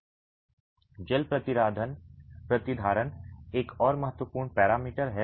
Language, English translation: Hindi, Water retentivity is another important parameter